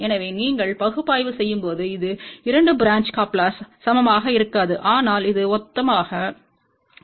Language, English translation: Tamil, So, when you do the analysis, it will not be same as for 2 branch coupler, but it will be similar